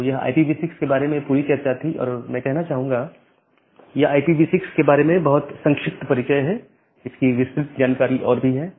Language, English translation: Hindi, So, that is all about IPv6 and I will say that it is a very brief introduction about IPv6 there are much more details